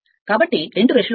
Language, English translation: Telugu, So, 2 brushes will be there